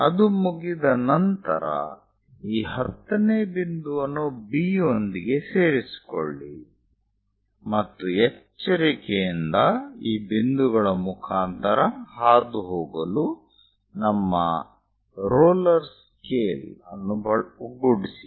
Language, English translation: Kannada, Once it is done, join these 10th one with B and move our roller scale to carefully pass through these points